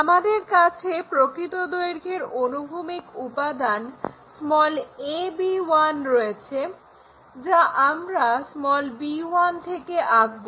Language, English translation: Bengali, Once, we have that a horizontal component of true length a b 1 we are going to draw from point b 1